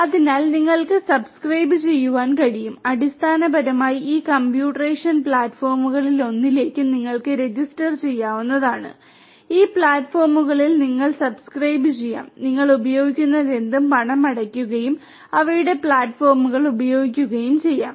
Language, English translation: Malayalam, So, you could subscribe you could basically register yourself to any of these computational platforms you could subscribe to these platforms pay for whatever you are using and could use their platforms